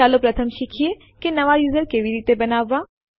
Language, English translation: Gujarati, Let us first learn how to create a new user